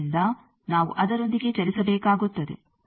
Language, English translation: Kannada, So, we will have to move along that